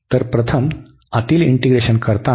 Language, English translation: Marathi, So, while integrating the inner one first